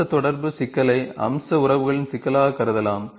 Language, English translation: Tamil, The feature interaction problem can be treated as a problem of feature relationship